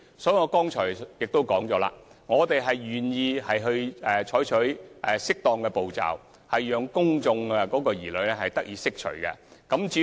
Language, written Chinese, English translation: Cantonese, 正如我剛才所說，我們願意採取適當步驟，讓公眾的疑慮得以釋除。, As I said earlier we are willing to take appropriate steps to dispel any public misgivings